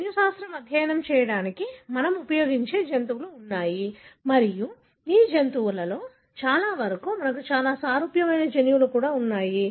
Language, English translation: Telugu, There are animals that we use for studying genetics and many of these animals also have, genes that are very, very similar to us